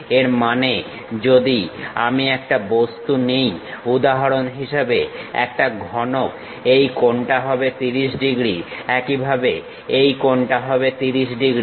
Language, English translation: Bengali, That means if I am taken an object, for example, here cuboid; this angle is 30 degrees; similarly this angle is 30 degrees